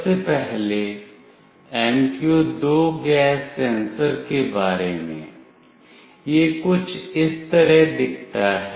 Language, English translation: Hindi, Firstly about the MQ2 gas sensor it looks like somewhat like this